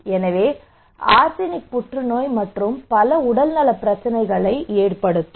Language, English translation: Tamil, So arsenic can cause cancer and many other health problems